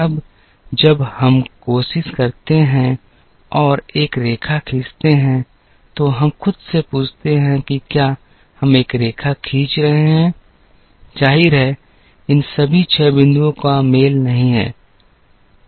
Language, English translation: Hindi, Now, then when we try and draw a line, we ask ourselves a couple of questions are we going to draw a line; obviously, all these six points are not collinear